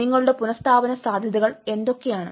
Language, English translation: Malayalam, what is your resilience potentialities